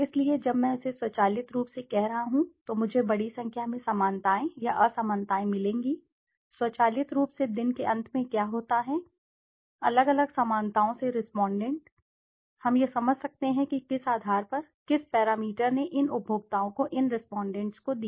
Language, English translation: Hindi, So when I am doing it automatically I will get a large number of similarities or dissimilarities, automatically what happens at the end of the day the respondent from the different similarities, we can understand on what basis what basis, what parameter did these consumers these respondents make the similarity or dissimilarity choices